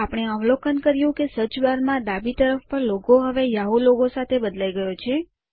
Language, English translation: Gujarati, We observe that the logo on the left of the search bar has now changed to the Yahoo logo